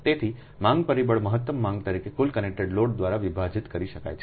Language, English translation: Gujarati, so demand factor can be given as maximum demand divided by total connected load